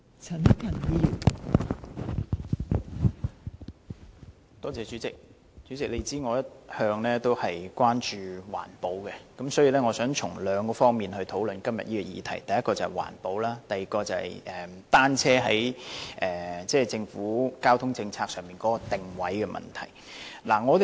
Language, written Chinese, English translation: Cantonese, 代理主席，我一向關注環保，所以我想從兩方面討論今天這項議題：第一，是環保；第二，是單車在政府交通政策上的定位。, Deputy President I have always been concerned about environmental protection so I would like to discuss this issue from two aspects environment protection and the positioning of cycling in the Governments transport policy